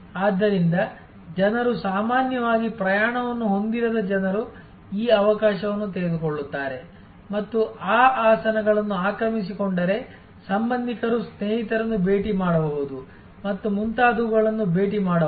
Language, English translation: Kannada, So, people normally would not have those people who normally would not have travel will take this opportunity and occupied those seats may visit a relatives visit friends and so on